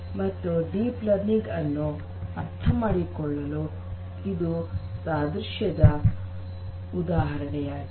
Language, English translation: Kannada, So, this is just an analogy to you know make you understand deep learning better